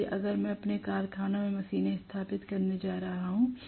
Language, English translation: Hindi, So, if I am going to install machines in my factory